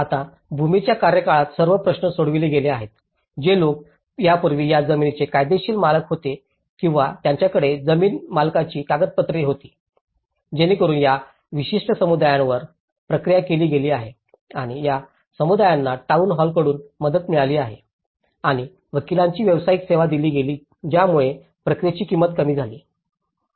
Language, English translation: Marathi, Now, the all issue to do with the land tenure so, the people who were already a legal owners of the land or had a land ownership documents so that, these particular communities have been processed and these communities have received help from the town hall and were provided with the professional service of lawyer which brought down the cost of the process